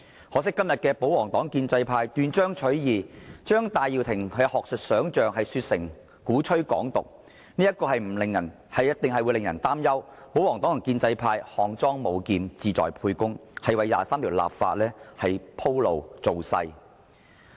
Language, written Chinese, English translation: Cantonese, 可惜，今天保皇黨和建制派斷章取義，將戴耀廷的學術想象說成鼓吹"港獨"，必定會令人擔憂保皇黨和建制派是"項莊舞劍，志在沛公"，為《基本法》第二十三條立法鋪路、造勢。, Unfortunately the pro - Government Members and the pro - establishment camp took Benny TAIs academic hypothesis out of context and accused him of advocating Hong Kong independence . This will surely cause worries about the pro - Government Members and the pro - establishment camp having a hidden motive and paving the way for legislation for Article 23 of the Basic Law